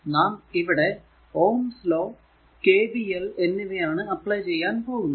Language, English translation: Malayalam, So, KCL here KVL will apply ohms' law along with KVL